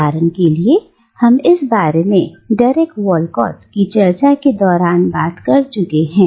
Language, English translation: Hindi, And here, for instance, we have already discussed this when we discussed Derek Walcott